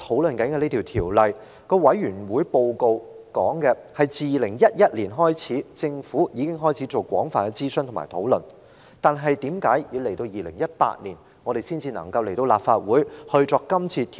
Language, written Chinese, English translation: Cantonese, 《旅遊業條例草案》委員會的報告指出，政府自2011年起已進行廣泛諮詢和討論，但為何要到2018年，《旅遊業條例草案》才提交立法會作討論呢？, According to the report submitted by the Bills Committee on Travel Industry Bill the Government has been conducting extensive public consultation and discussion since 2011; how come it was not until 2018 that the Travel Industry Bill the Bill was submitted to the Legislative Council for discussion?